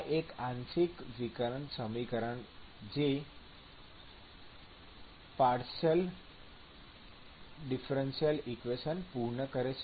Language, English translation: Gujarati, This is a partial differential equation